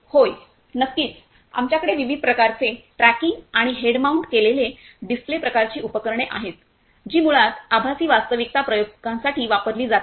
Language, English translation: Marathi, Yes, sure so we are having different kinds of tracking and head mounted display kind of equipments which basically used for the virtual reality experiments